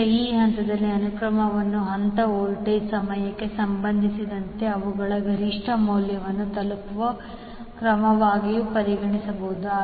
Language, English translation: Kannada, Now, this phase sequence may also be regarded as the order in which phase voltage reach their peak value with respect to time